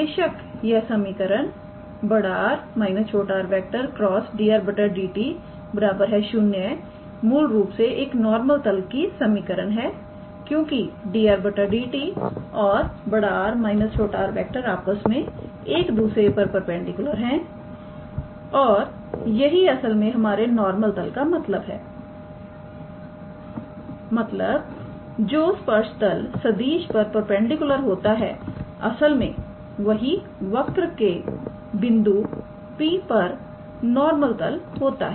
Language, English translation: Hindi, Obviously and therefore, that equation capital R minus small r dot product with dr dt is basically the equation of the normal plane because dr dt and capital R minus small r are perpendicular to one another and that is actually what normal plane mean that a plane which is perpendicular to tangent vector is actually a normal plane at a point P to that curve